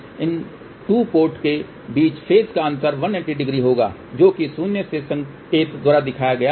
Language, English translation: Hindi, So, the phase difference between these 2 ports will be 180 degree which is represented by minus sign